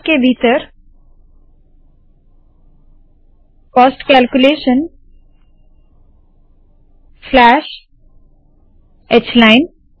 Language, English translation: Hindi, Cost within braces – cost calculations slash h line